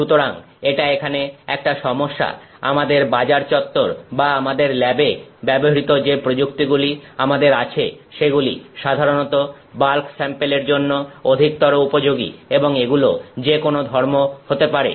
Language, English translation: Bengali, So, this is the issue here, we have techniques that are readily available in the marketplace or in our labs which are typically intended for bulk samples and it could be any property